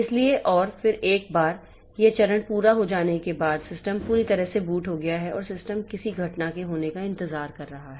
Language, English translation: Hindi, So, and then once this phase is complete the system has fully booted and the system waits for some event to occur